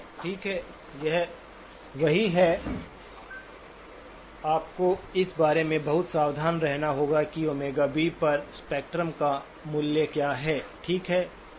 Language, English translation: Hindi, Okay, that is one, you have to be very careful about what is the value of the spectrum at that omega B, okay